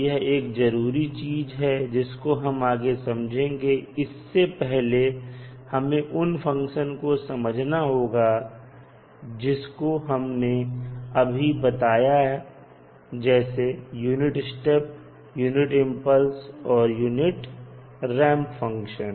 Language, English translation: Hindi, Before that, let us try to understand what are the various functions which we just mentioned here like unit step, unit impulse and unit ramp functions